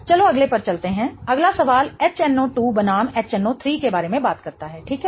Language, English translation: Hindi, The next question talks about HNO2 versus HNO3